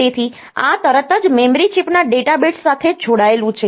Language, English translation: Gujarati, So, this is straightaway connected to the data bits of the memory chip